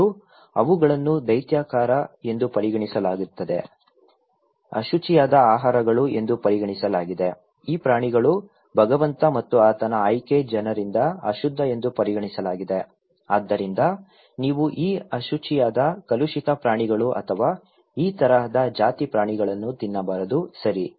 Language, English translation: Kannada, And they are considered unclean foods considered to be monster okay, abominated by the Lord and by his chosen people, so you should not eat these unclean polluted anomaly animals or species, okay